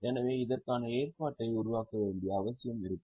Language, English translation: Tamil, So, there will be a need to create a provision for this